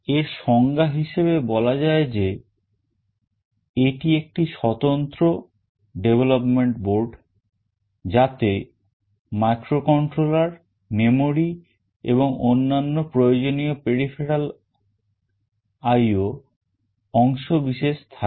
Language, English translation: Bengali, We can define it as a standalone development board containing microcontroller, memory and other necessary peripheral I/O components